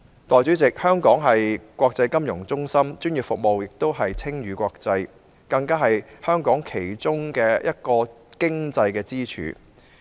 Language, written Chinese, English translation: Cantonese, 代理主席，香港是國際金融中心，專業服務不單稱譽國際，更是香港其中一個經濟支柱。, Deputy President Hong Kong is an international financial centre . Its professional services not only have won worldwide acclaim and they are even a pillar of Hong Kongs economy